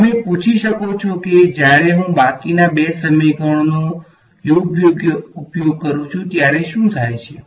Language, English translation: Gujarati, So, you can ask what happens when I use the remaining 2 equations right